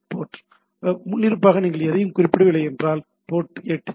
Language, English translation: Tamil, So, the by default if you do not specify anything, the port is port 80 right, but other ports can be used